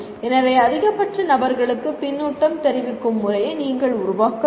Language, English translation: Tamil, So you have to work out a method of giving feedback to the maximum number of people